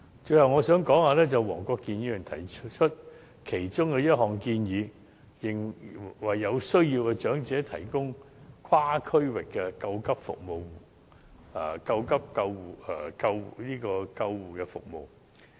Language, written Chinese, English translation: Cantonese, 最後，黃國健議員提出一項建議，為有需要的長者提供跨區域的緊急救護服務，我想就此作出回應。, Lastly I would like to respond to a suggestion made by Mr WONG Kwok - kin on the provision of cross - region emergency ambulance services for elderly persons in need